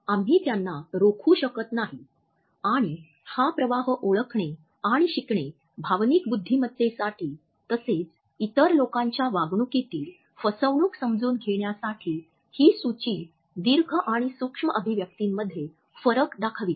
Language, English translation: Marathi, We cannot prevent them from taking place and learning to detect this leakage is critical to emotional intelligence as well as for understanding deception in the behavior of other people this list gives us the difference between macro and micro expressions